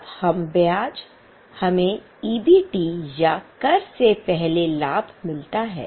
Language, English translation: Hindi, Then less interest we get EBT or profit before tax